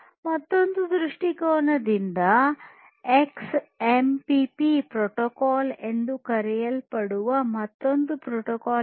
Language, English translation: Kannada, From another point of view there is another protocol which is called the XMPP protocol